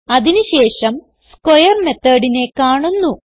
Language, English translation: Malayalam, Then it comes across the square method